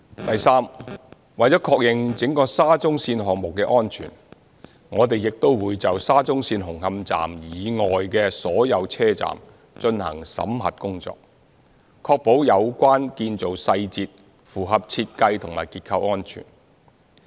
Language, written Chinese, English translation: Cantonese, 第三，為了確認整個沙中線項目的安全，我們亦會就沙中線紅磡站以外的所有車站進行審核工作，確保有關建造細節符合設計及結構安全。, Third to ascertain the safety of the whole SCL project we will also conduct an audit of all stations other than Hung Hom Station of SCL to ensure compliance of the relevant construction details with the design and structural safety